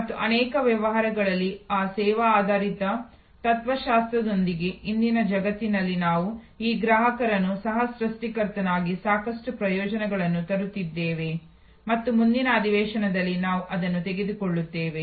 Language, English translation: Kannada, And how in today's world with that service oriented philosophy in many businesses we are bringing in this customer as co creator with a lot of benefits and that is what we will take on in the next session